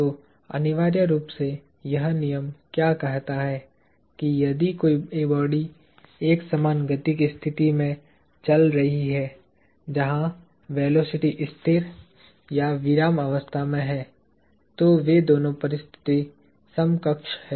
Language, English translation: Hindi, So, essentially, what this law states is that, if a body is moving in a state of uniform motion that is, where the velocity is constant or is at rest, those two states are equivalent